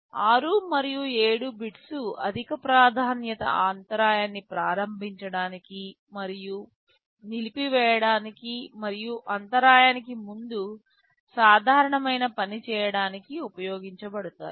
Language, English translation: Telugu, Then bits 6 and 7 are for enabling and disabling the high priority interrupt and the normal prior to interrupt